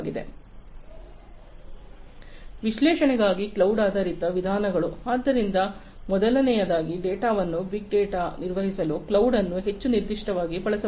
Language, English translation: Kannada, So, cloud based methods for analytics would be; so first of all, cloud could be used for handling data big data, more specifically